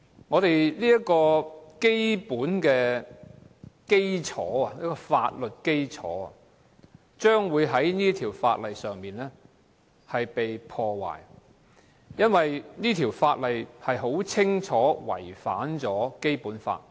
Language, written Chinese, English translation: Cantonese, 我們基本的法律基礎將會被《條例草案》破壞，因為它明顯違反《基本法》。, Our legal basis will be undermined by the Bill because it clearly contravenes the Basic Law